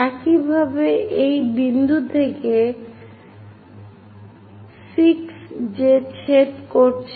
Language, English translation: Bengali, Similarly, from this point 6 intersect that